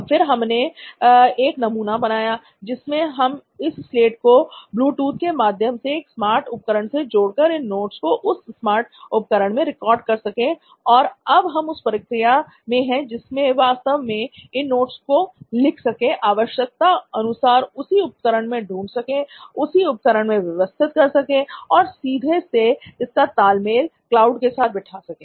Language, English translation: Hindi, Then we tried with another prototype where we can actually connect this slate to a smart device through Bluetooth and actually record that notes in a smart device, then write now we are in a process where we can actually write these notes, retrieve these notes in the same device and organize them in the same device and directly sync to the cloud within the same device